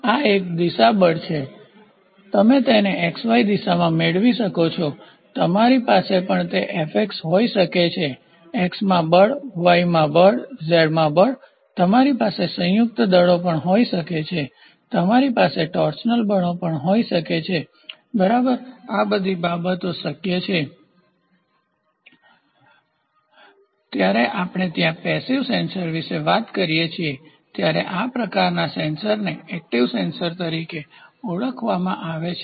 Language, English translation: Gujarati, So, this is one direction force, you can have it in xy direction you can also have it as F Fx; force in x, force in y, force in z, you can also have combination forces you can also have torsional forces, ok, all these things are possible, these type of sensors are called as active sensors when we talk about passive sensors there is a fixed block here of d and here is a moving tube